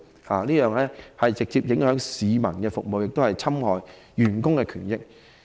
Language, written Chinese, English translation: Cantonese, 這樣會直接影響對市民的服務，亦侵害員工的權益。, This will directly impact on the services provided to the public and infringe on staff members rights